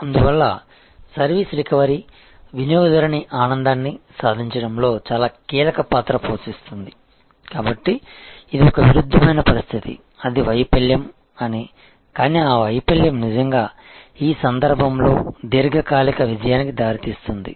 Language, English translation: Telugu, Service recovery, therefore place a very a crucial role in achieving customer delight, so this is a paradoxical situation; that it is a failure, but that failure can lead really in this case to long term success